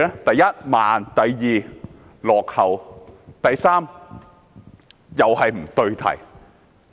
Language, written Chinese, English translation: Cantonese, 第一，慢；第二，落後；及第三，不對題。, First being slow; second being outmoded and third being irrelevant